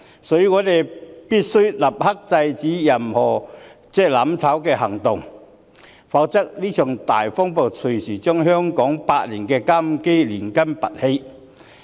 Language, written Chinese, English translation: Cantonese, 所以，我們必須立刻制止所有"攬炒"行動，否則，這場大風暴隨時會將香港的百年根基拔起。, Therefore we must immediately stop all operations which aim at bringing about mutual destruction . Otherwise this hurricane may uproot Hong Kongs century - old foundation anytime